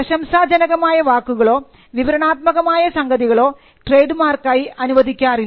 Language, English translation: Malayalam, So, laudatory and descriptive matters are not granted trademark